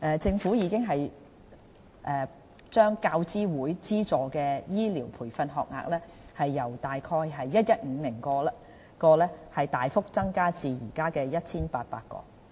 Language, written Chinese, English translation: Cantonese, 政府已把大學教育資助委員會資助的醫療培訓學額由約 1,150 個大幅增至約現在的 1,800 個。, The Government has increased substantially the number of health care training places funded by the University Grants Committee UGC from about 1 150 to some 1 800 at the moment